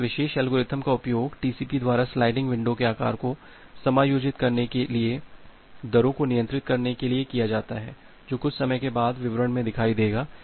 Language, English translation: Hindi, So, this particular algorithm is used by TCP to adjust the size of the sliding window to control the rates that will look into the details sometime later